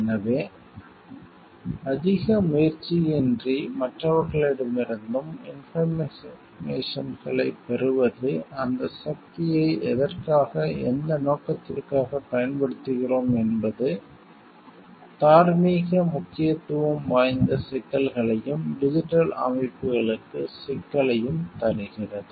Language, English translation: Tamil, So, and getting information of maybe from others also without much effort taken so, how we use that power to what and for what purpose, that brings a moral significant issue and a problem for the digital systems